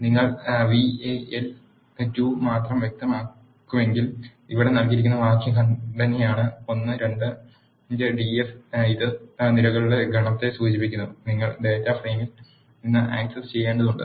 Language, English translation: Malayalam, If you specify only val 2 which is the syntax given here d f of a l 2 this refers to the set of columns, that you need to access from the data frame